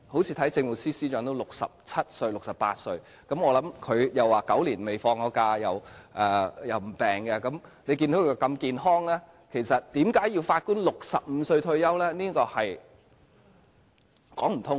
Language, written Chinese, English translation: Cantonese, 正如政務司司長也67歲、68歲，我聽他說已9年未曾放假，又沒有生病，他如此健康，為何要法官65歲便退休？, Just as the Chief Secretary for Administration is 67 or 68 years old already but he said that he has not taken any vacation for nine years and does not have any illness . While he is very healthy at this age why is it necessary for Judges to retire at the age of 65?